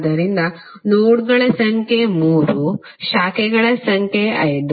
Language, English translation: Kannada, So number of nodes are 3, number of branches are 5